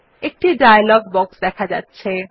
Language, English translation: Bengali, A dialog box appears in front of us